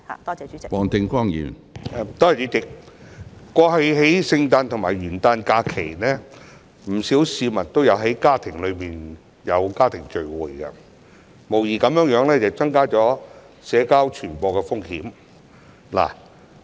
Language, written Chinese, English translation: Cantonese, 主席，在過去的聖誕和元旦假期，不少市民也有參加家庭聚會，無疑增加了社交傳播的風險。, President during the Christmas and New Year holidays many people attended family gatherings which undoubtedly increased the risk of social transmission